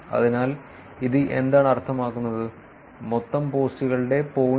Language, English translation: Malayalam, So, what does this mean, this means that there are only 0